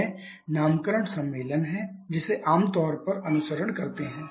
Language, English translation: Hindi, So, these are the naming conventions that we commonly follow for refrigerants